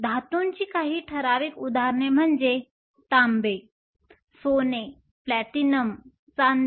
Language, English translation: Marathi, Some typical examples of metals are Copper, Gold, Platinum, Silver